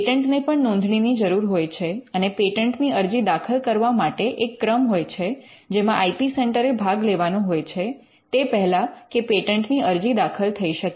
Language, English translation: Gujarati, Patents require registration and for filing patents there is a series of steps that the IP centre has to involve in before a patent can be filed